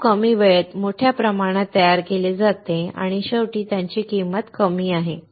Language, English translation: Marathi, It is manufactured in bulk in very less time and finally, it is low cost